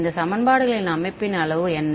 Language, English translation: Tamil, How what is the size of this system of equations